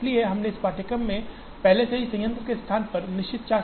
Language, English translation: Hindi, So, we have already seen some aspects of the plant location or a fixed charge problem earlier in this course